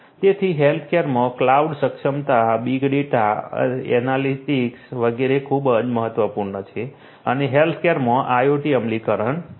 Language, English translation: Gujarati, So, cloud enablement big data analytics etcetera are very important in healthcare and IoT implementation in healthcare